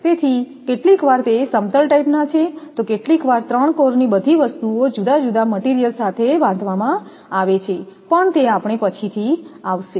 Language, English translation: Gujarati, So, sometimes your flat type sometimes all the things all the three cores that they will be binded together also by different material that will come later